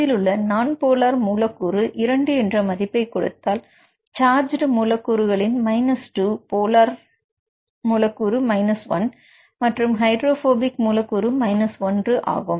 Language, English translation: Tamil, So, here if you see this is the nonpolar residues, I give the value of 2 and the charged residues I give 2, polar residues 1 and the hydrophobic residues 1